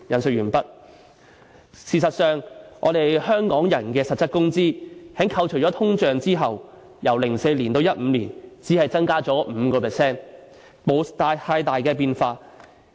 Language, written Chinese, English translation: Cantonese, "事實上，我們香港人的實質工資在扣除通脹後，由2004年至2015年，只增加了 5%， 並沒有太大變化。, As a matter of fact the real wages of Hong Kong people after discounting the effect of inflation only increased by 5 % from 2004 to 2015 and not much change has been made